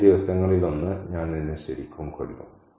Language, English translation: Malayalam, One of these days, I'll really kill you